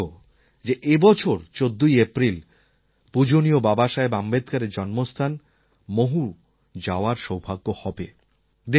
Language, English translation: Bengali, I am fortunate to get the chance to visit Mhow, the birthplace of our revered Baba Saheb Ambedkar, on 14th April this year